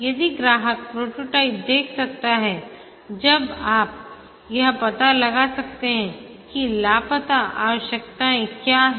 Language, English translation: Hindi, If the customer can look at the prototype, then you can find out what are the missing requirements